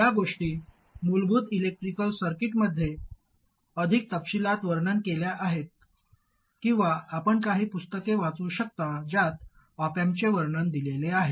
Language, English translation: Marathi, These things are described in more detail in basic electrical circuits or you can use some of the textbooks that you may have which describe the op amp